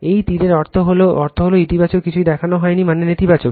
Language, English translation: Bengali, This arrow means positive nothing is shown means negative right